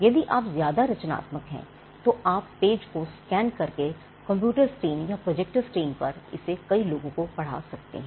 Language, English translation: Hindi, If you are more creative, you could scan the page and put it on a computer screen or project it on a computer screen and whole lot of people can read